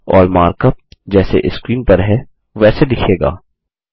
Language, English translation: Hindi, And the mark up looks like as shown on the screen